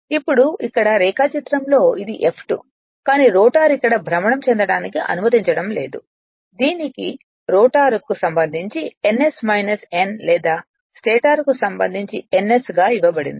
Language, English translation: Telugu, Now, if here it is in the diagram in the diagram this is my F2, but we are not allowing the rotor to rotate here it is given ns minus n with respect to rotor or ns with respect to stator